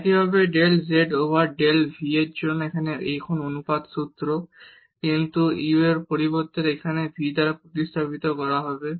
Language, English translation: Bengali, Similarly, for del z over del v now the similar formula, but instead of this u it will be replaced by v